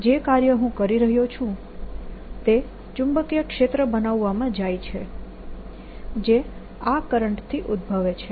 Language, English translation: Gujarati, and that work that i am doing goes into establishing the magnetic field which arises out of this current